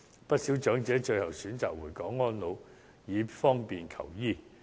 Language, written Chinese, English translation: Cantonese, 不少長者最後均選擇回港安老，以方便求醫。, Many of them thus choose to spend their remaining days in Hong Kong eventually for easier access to medical service